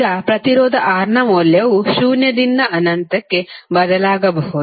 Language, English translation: Kannada, Now, the value of resistance R can change from zero to infinity